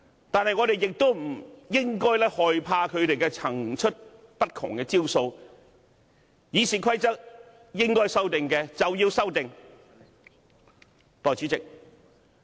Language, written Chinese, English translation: Cantonese, 但是，我們不應害怕他們層出不窮的招數，《議事規則》如應該修訂，便要作出修訂。, However we should not be afraid of the endless tricks they play and should amend the Rules of Procedure if there is a need to do so